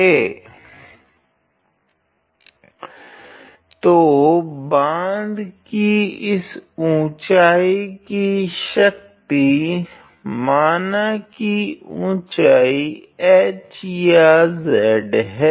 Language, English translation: Hindi, So, power of this height of the dam let us say the height is h or z ok